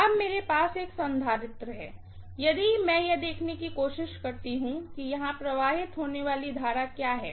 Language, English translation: Hindi, Now, I have a capacitance also, so if I try to look at what is the current that is flowing here, okay